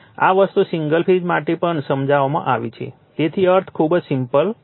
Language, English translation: Gujarati, This thing has been explained also for single phase right, so meaning is very simple